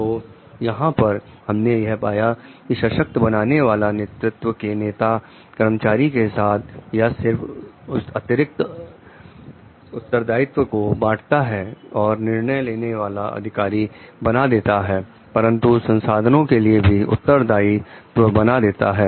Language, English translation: Hindi, So, what we find over here in empowering leadership the leader shares the employees with additional not only responsibility and decision making authority, but also the resources